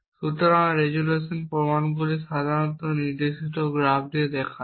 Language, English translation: Bengali, So, the resolution proofs all usually shown as directed graph directly recycle graph